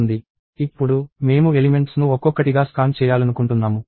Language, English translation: Telugu, And now, I want to scan the elements one by one